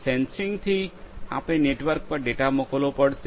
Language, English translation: Gujarati, From sensing we have to send the data over a network